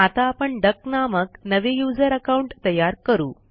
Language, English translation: Marathi, So let us create a new user account named duck